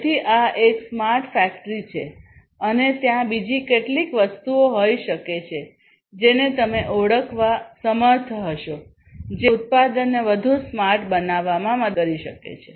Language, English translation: Gujarati, So, this is a smart factory and there are there could be few other things that you might be also able to identify, which can help in making the product smarter